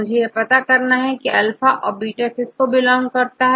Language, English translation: Hindi, I want to know whether this belongs to alpha or beta